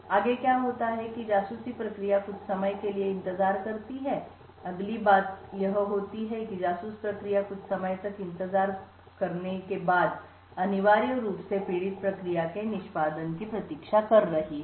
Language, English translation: Hindi, Next what happens is that the spy process waits for some time, the next what happens is that the spy process waits for some time and is essentially waiting for the victim process to begin execution